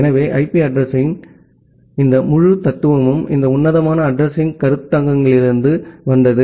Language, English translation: Tamil, So, this entire philosophy of IP address is come from this classful addressing concepts